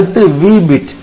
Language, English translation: Tamil, Then there is S bit